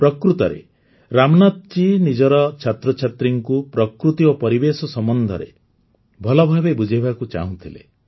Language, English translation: Odia, Actually, Ramnath ji wanted to explain deeply about nature and environment to his students